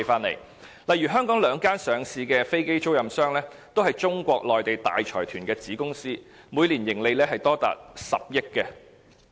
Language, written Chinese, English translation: Cantonese, 例如香港兩間上市的飛機租賃商，也是中國內地大財團的子公司，每年盈利高達10億元。, In Hong Kong for example the annual profits of the two local listed aircraft leasing operators both subsidiaries of large consortia in Mainland China are as high as 1 billion